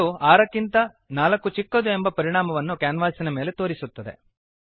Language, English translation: Kannada, and has displayed the result 4 is smaller than 6 on the canvas